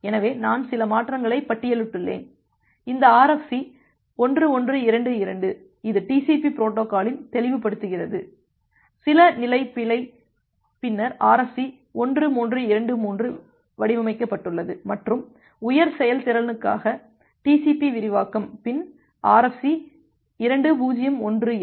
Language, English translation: Tamil, So, I have just listed the few changes, this RFC 1122 which does some clarification on the TCP protocol, the some level of bug says then RFC 1323 which was designed and extension of TCP for high performance, then RFC 2018